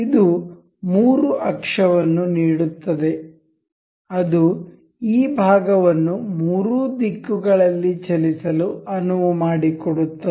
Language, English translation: Kannada, This gives three axis that the that allows us to move this part in the three directions